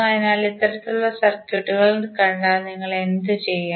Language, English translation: Malayalam, So, if you see these kind of circuits what you will do